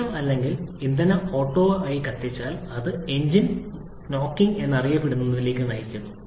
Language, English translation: Malayalam, If the system or if the fuel auto ignites, then that leads to something known as the engine knocking